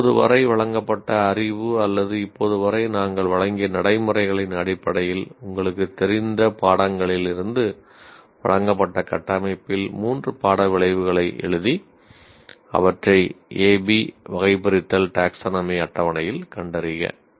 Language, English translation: Tamil, Now based on the knowledge presented till now or based on the procedures that we have given till now, write three course outcomes in the structure presented from the courses you are familiar with and locate them in the A